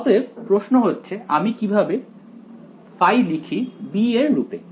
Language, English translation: Bengali, So, the question is how do I write phi in terms of b right